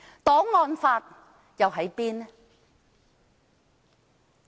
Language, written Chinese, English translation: Cantonese, 檔案法又在哪裏？, Where is the archives law?